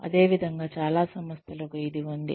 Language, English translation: Telugu, Similarly, a lot of organizations have this